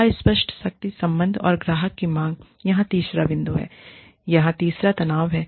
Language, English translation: Hindi, Ambiguous power relationships and client demands, is the third point here, the third tension here